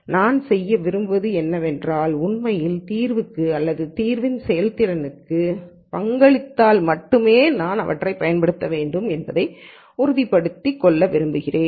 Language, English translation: Tamil, What 1 would like to do is make sure that I use these only if they really contribute to the solution or to the efficacy of the solution